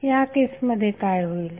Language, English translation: Marathi, What will happen in that case